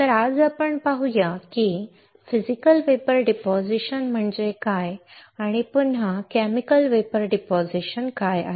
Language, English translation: Marathi, So, let us see today what are what are the Physical Vapor Depositions and what are the Chemical Vapor Depositions again